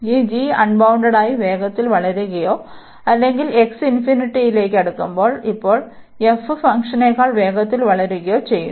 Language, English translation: Malayalam, If this g is the meaning here is that g is growing faster or getting unbounded faster here or to when x approaching to infinity, now going growing faster than the f function